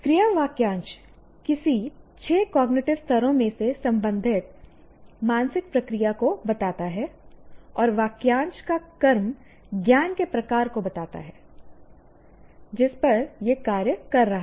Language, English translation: Hindi, The verb phrase states the mental process belonging to any of the cognitive levels, like any of the six cognitive levels, and the object of the phrase states the type of knowledge, what kind of knowledge it is acting on